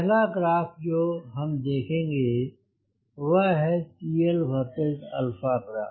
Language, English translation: Hindi, the first graph which we will be looking is cl versus alpha graph